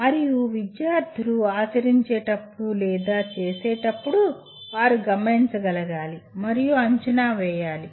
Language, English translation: Telugu, And when the students do or perform whatever they do should be observable and assessable